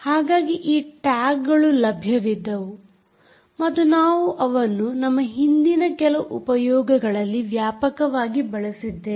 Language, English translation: Kannada, ok, so these tags, where available, and we have used them extensively in some of our previous applications